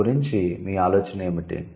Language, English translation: Telugu, What is your idea about it